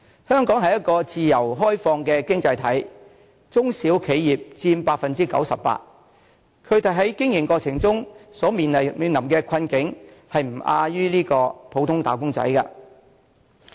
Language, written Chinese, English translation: Cantonese, 香港是一個自由開放的經濟體，中小企業佔全港企業總數的 98%， 但它們在經營過程中所面臨的困境，卻不亞於普通"打工仔"。, Hong Kong is a free and open economy in which SMEs account for 98 % of all local enterprises . But the difficulties faced by SMEs in their operation are no less serious than those faced by ordinary employees